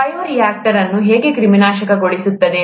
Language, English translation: Kannada, How is a bioreactor sterilized